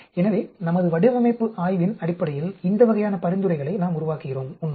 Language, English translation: Tamil, So, these types of recommendations we make based on our design study actually